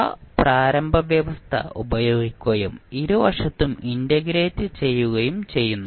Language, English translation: Malayalam, We use that particular initial condition and take integration at both sides